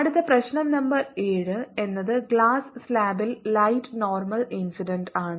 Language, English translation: Malayalam, next problem, number seven, is light is incident normally on glass slab